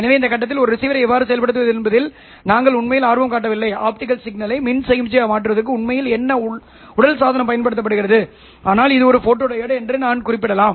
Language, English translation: Tamil, So, at this point we are not really interested in how to implement a receiver, how, what physical device actually is used to convert the optical signal into electrical signal except that I can mention that this is a photodiod